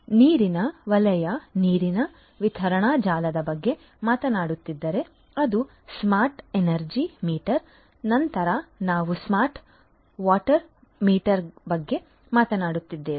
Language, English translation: Kannada, So, then it is the smart energy meter if we are talking about the water sector, water distribution network, then we are talking about the smart water meter